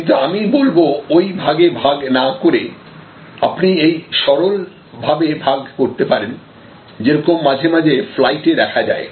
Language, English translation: Bengali, But, today I would say that instead of looking at it in that fashion you can have a much simpler division of, like it happens on flight sometimes